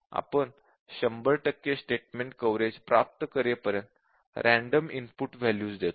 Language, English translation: Marathi, We just give input values randomly until we achieve 100 percent statement coverage